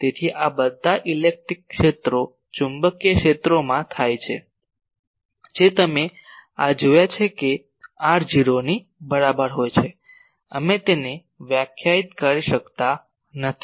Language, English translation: Gujarati, So, this happens in all the electric fields, magnetic fields you have seen these that at r is equal to 0 we cannot define it